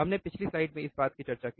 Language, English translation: Hindi, So, this we already discussed in last slide